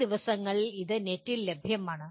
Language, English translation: Malayalam, And these days it is available on the net